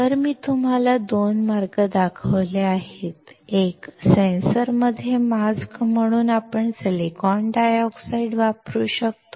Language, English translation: Marathi, So, I have shown you 2 ways; one, we can use the silicon dioxide as a mask in sensor